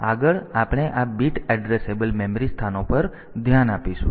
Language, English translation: Gujarati, So, next we will look into this bit addressable memory locations